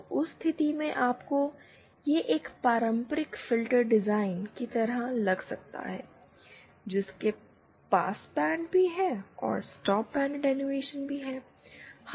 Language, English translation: Hindi, So, in that case you have to kind of it is like a traditional filter design of the stop band attenuation, passband attenuation